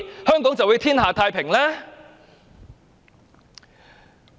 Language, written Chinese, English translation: Cantonese, 香港是否便會天下太平呢？, Can Hong Kong therefore enjoy everlasting peace?